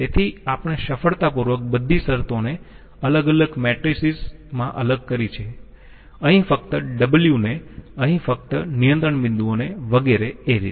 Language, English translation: Gujarati, So we have a you know successfully segregated the all the terms in different matrices, W only here, control points only here like that